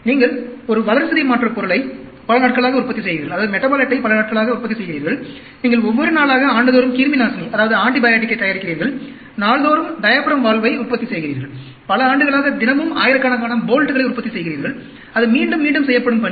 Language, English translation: Tamil, You are manufacturing a metabolite day in and day out, you are manufacturing antibiotic everyday for years and years, you are manufacturing a diaphragm valve everyday, you are manufacturing thousands of bolts everyday for years together, that is a repetitive task